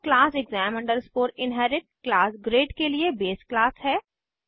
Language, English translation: Hindi, And exam inherit is the base class for class grade